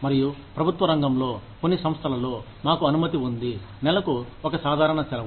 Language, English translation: Telugu, And, in the government sector, in some organizations, we are allowed, one casual leave per month